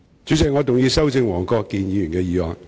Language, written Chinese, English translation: Cantonese, 主席，我動議修正黃國健議員的議案。, President I move that Mr WONG Kwok - kins motion be amended